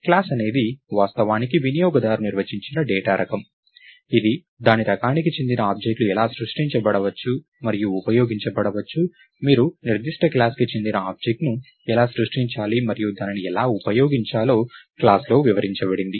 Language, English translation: Telugu, A class is actually a user defined data type that specifies how objects of its type can be created and used, how do you create an object of a certain class, and how to use it is described in the class